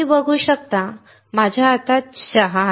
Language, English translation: Marathi, As you can see, I have tea in my hand